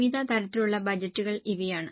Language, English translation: Malayalam, These are the various types of budgets